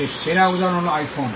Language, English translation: Bengali, The best example is the iPhone